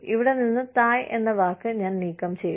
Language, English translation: Malayalam, I will remove the word, Thai, here, from here